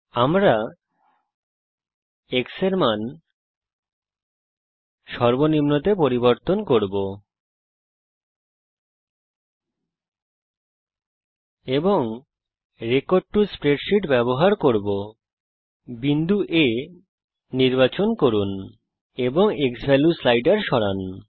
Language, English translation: Bengali, We will change the x value to minimum, and the use the record to spreadsheet, select point A and move the xValue slider